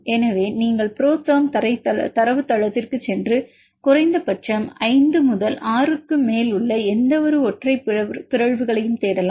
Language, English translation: Tamil, So, you can take go to the ProTherm database and search for the mutations in any single points whether at least more than 5 to 6 mutants